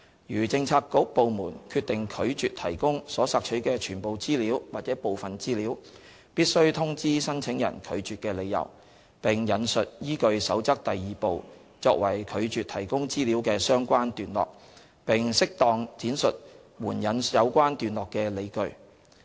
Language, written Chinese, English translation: Cantonese, 如政策局/部門決定拒絕提供所索取的全部資料或部分資料，必須通知申請人拒絕的理由，並引述依據《守則》第2部作為拒絕提供資料的相關段落，並適當闡述援引有關段落的理據。, If bureauxdepartments decide to refuse the provision of information requested in full or in part they must inform the requestors of the reasons for refusal quoting the relevant paragraphs in Part 2 of the Code on which the refusal is based with appropriate elaboration to justify invoking the relevant paragraphs